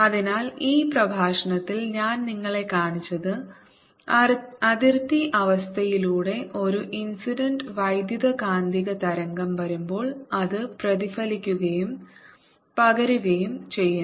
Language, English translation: Malayalam, so what are shown you in this lecture is through the boundary condition when an is incident electromagnetic wave comes, it gets both reflected as well as transmitted